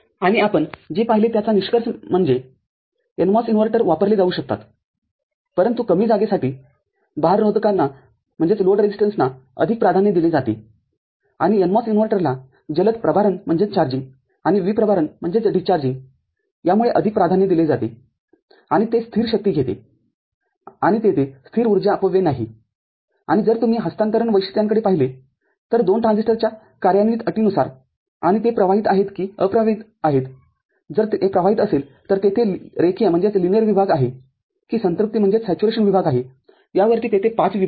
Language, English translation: Marathi, And to conclude what we have seen that NMOS inverters can be used, but NMOS load resistance is preferred for less space and CMOS inverters are useful in the sense that the charging and discharging are quicker and also it takes the static power there is no static power consumption and if you look at the transfer characteristics, there are 5 zones depending on operating condition of the two transistors whether they are in conducting or non conducting, if it is conducting whether it is a linear region or saturation region